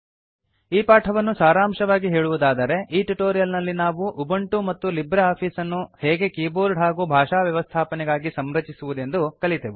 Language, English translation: Kannada, In this tutorial, We learnt how to configure Ubuntu and LibreOffice for keyboard and language settings